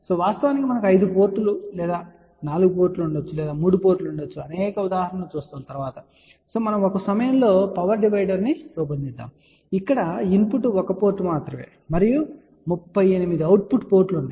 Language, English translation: Telugu, In fact, just to tell you we will be looking at several examples where there may be a 5 ports or there may be a 4 ports or there may be 3 port in fact, we had designed at one time a power divider where input was only one port and there were 38 output ports